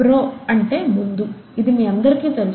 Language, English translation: Telugu, Pro is before, this we all know